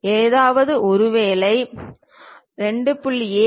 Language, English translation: Tamil, If anything 2